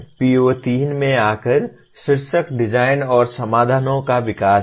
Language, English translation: Hindi, Coming to PO3, the title is design and development of solutions